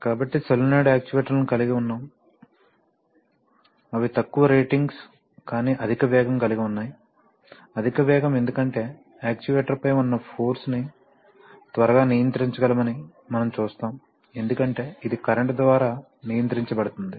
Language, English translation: Telugu, So solenoid actuators have, you know higher speeds, they are lower ratings but higher speeds because, higher speeds because, as we will see that the force on the actuator can be quickly controlled because it is controlled by current